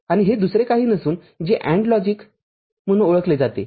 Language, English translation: Marathi, And this is nothing but what is known as AND logic this is your AND logic – ok